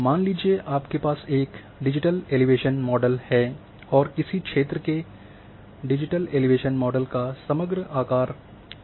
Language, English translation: Hindi, Suppose, you are having digital elevation model and shape of your overall shape of your digital elevation model of an area is rectangle